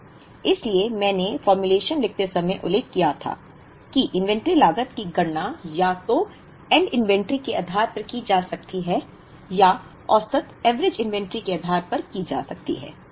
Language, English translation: Hindi, So, while writing the formulation I mentioned that the, inventory cost can be calculated either based on the ending inventory, or based on the average inventory